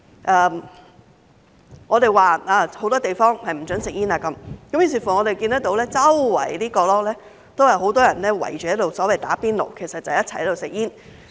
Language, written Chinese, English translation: Cantonese, 由於有很多地方不准吸煙，於是我們看到四處角落也有很多人圍着所謂"打邊爐"，其實就是一齊吸煙。, Since smoking is not allowed in many places we can see many people gather around different corners to do the so - called hotpot smoking which is actually smoking together